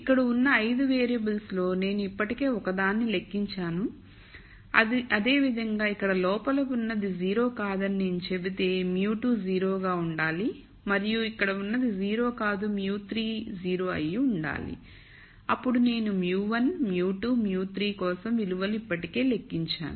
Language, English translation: Telugu, So, out of the 5 variables here I have already computed one, similarly if I say whatever is inside here is not 0 then mu 2 has to be 0 and whatever is inside here is not 0 mu 3 has to be 0 then I have already computed values for mu 1, mu 2, mu 3